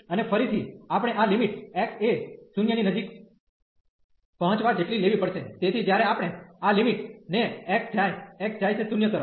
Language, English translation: Gujarati, And again we have to take this limit as x approaching to 0, so when we take this limit x approaches to x approaches to 0